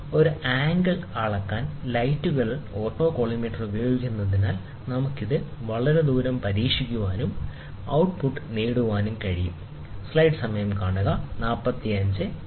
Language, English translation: Malayalam, Because of the autocollimator use of lights to measure an angle, we can test it for a very long distance, and try to get the output